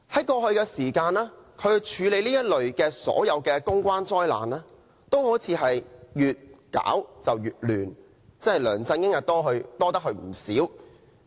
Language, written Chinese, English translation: Cantonese, 過去，他處理的所有公關災難都好像越做越亂，梁振英真的"多得佢唔少"。, Apparently his handling of all public relations disasters would only grow more and more confusing . LEUNG Chun - ying should really thank him for all this